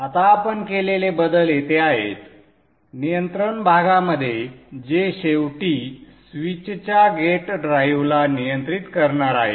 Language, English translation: Marathi, Now the changes that we have made is here in the control portion which ultimately is going to control the gate drive of the switch